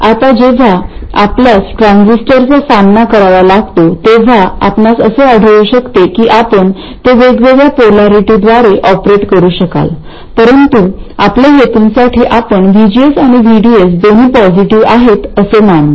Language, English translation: Marathi, Now when you encounter the transistor you may find that you will be able to operate it with different polarities but for our purposes we will consider VGS and VDS to be positive